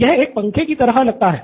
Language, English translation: Hindi, This looks like a fan